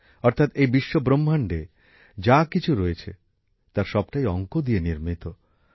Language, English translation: Bengali, That is, whatever is there in this entire universe, everything is based on mathematics